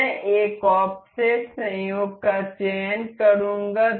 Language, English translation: Hindi, I will select coincide an offset